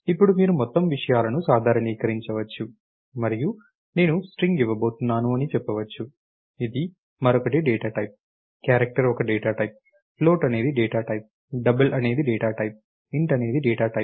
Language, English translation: Telugu, Now you can do generalization of the whole things and say I am going to give string for example, is another is a data type, character is a data type, float is a data type, double is a data type, int is a data type